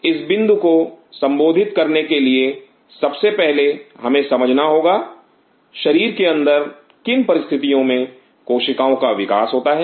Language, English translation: Hindi, In order to address this point first of all we have to understand under what conditions of cells grow inside the body